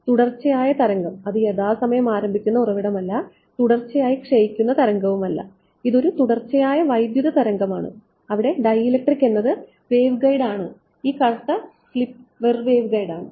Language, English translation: Malayalam, Continuous wave it is not that source that starts in time and that decays in time continuous wave the dielectric is the waveguide this black strip over here is the waveguide why would not the wave go out ok